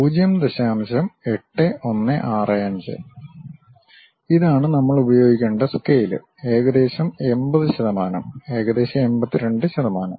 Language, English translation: Malayalam, 8165; this is the scale what we have to use it, approximately it is 80 percent, 82 percent approximately